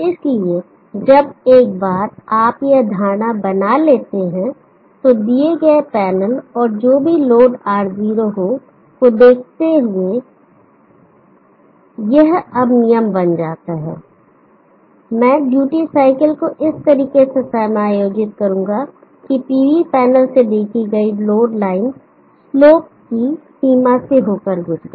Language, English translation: Hindi, So once you have made this assumption, now this becomes the rule given the panel and whatever may be the load R0 I will adjust the duty cycle such that the load line has seen from the PV panel will pass through in this range of slopes